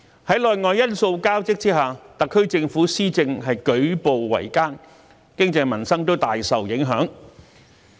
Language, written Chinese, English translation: Cantonese, 在內外因素交織下，特區政府施政舉步維艱，經濟民生大受影響。, These intertwining internal and external factors have made life very difficult for the SAR Government and seriously affected the economy and peoples livelihood